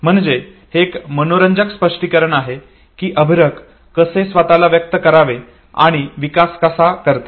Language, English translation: Marathi, So this is an interesting explanation of how infants, they develop how to express themselves okay